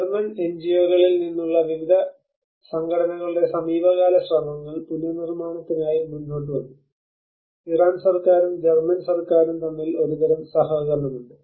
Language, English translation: Malayalam, And then the recent efforts by various organizations from the German NGOs came forward to reconstruction and there is a kind of collaboration between the Iran government and as well as the German parts